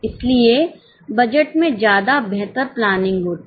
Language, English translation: Hindi, So, much better planning happens in budget